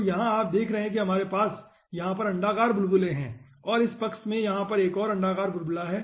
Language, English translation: Hindi, so here you see, we are having elliptic bubble over here, another elliptic bubble over here in this side